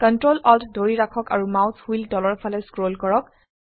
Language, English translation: Assamese, Hold ctrl, alt and scroll the mouse wheel downwards